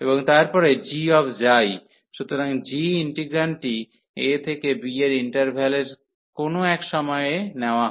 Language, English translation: Bengali, And then g psi, so g the integrand is taken at some point in the interval a to b